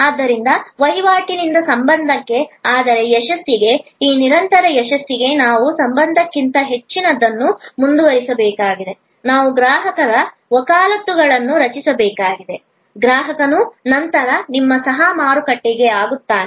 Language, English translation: Kannada, So, from transaction to relation, but for success, this continuous success, we need to go further than the relation, we need to create customer advocacy, customer then becomes your co marketed